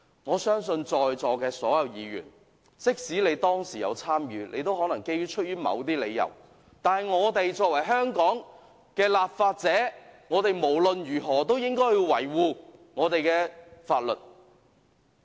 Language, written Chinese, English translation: Cantonese, 我相信在座所有議員，即使他們當時有參與佔中，也可能是基於某些理由，但我們作為香港的立法者，無論如何都應該維護我們的法律。, I believe all Members present even though some of them might have taken part in the Occupy Central at the time for some reasons being the lawmakers of Hong Kong should uphold our laws in all circumstances